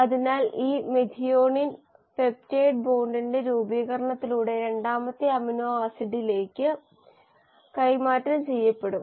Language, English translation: Malayalam, So this methionine will be passed on to the second amino acid through the formation of peptide bond